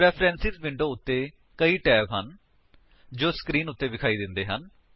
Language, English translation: Punjabi, There are several tabs on Preference Window which appear on the screen